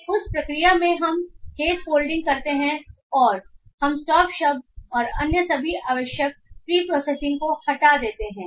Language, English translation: Hindi, In that process we do the case folding and we remove the stop words and all other necessary pre processing